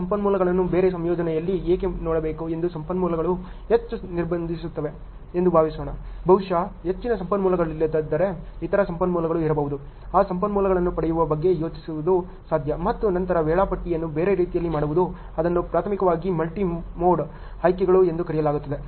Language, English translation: Kannada, Suppose that the resources are constraining too much why to look at those resources in a different combination maybe there are other resources which are not too much of a constraints is it possible to think of getting that resources and then doing the scheduling in a different way, that is primarily called the multi mode options ok